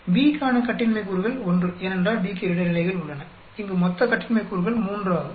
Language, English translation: Tamil, Degrees of freedom for B will be, 1; because we have 2 levels for B and the total degrees of freedom here is 3